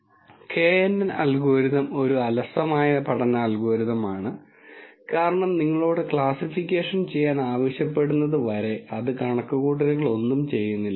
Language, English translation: Malayalam, And the knn algorithm is a lazy learning algorithm because it would not do any computations till you ask you to do classification